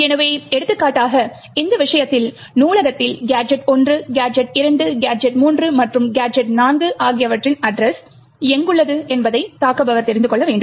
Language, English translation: Tamil, So, for example, over here in this case the attacker would need to know where the address of gadgets1, gadget2, gadget3 and gadget4 are present in the library